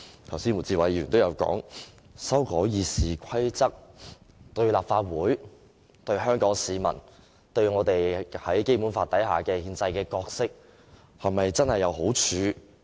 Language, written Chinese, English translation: Cantonese, 剛才胡志偉議員也說到，修改《議事規則》對立法會、對香港市民、對我們在《基本法》之下的憲制角色是否真正有好處？, Just as Mr WU Chi - wai asked are the amendments to the Rules of Procedure RoP really beneficial to the Legislative Council to Hong Kong people and to our constitutional role under the Basic Law?